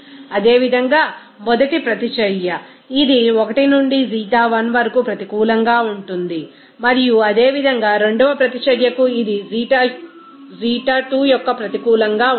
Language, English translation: Telugu, Similarly, the first reaction it will be a negative of 1 to Xi1 and similarly for the second reaction it will be negative of Xi2